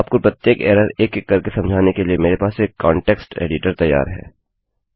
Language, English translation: Hindi, I have got a context editor ready to take you through each error one by one